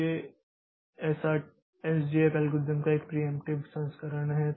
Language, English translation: Hindi, So, this is a preemptive version of the SJF algorithm